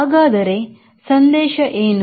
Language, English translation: Kannada, so what is the message